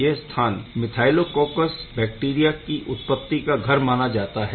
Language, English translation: Hindi, This is being the house of generating these methylococcus bacteria